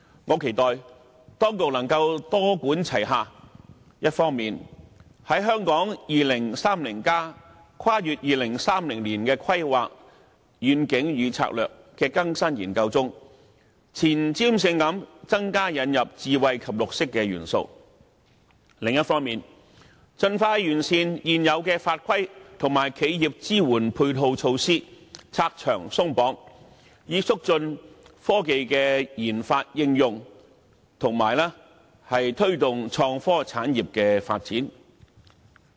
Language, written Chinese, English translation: Cantonese, 我期待當局能夠多管齊下，一方面在《香港 2030+： 跨越2030年的規劃遠景與策略》的更新研究中，前瞻性地增加引入智慧及綠色元素；另一方面，盡快完善現有法規及企業支援配套措施，拆牆鬆綁，以促進科技研發應用，以及推動創科產業的發展。, I hope the authorities may adopt a multi - pronged approach adding more smart and green elements in the updating exercise of Hong Kong 2030 Towards a Planning Vision and Strategy Transcending 2030 with foresight on the one hand while on the other hand expeditiously perfecting existing regulations and ancillary measures for supporting enterprises and removing barriers thereby facilitating RD and application of technology and promoting the development of innovation and technology industries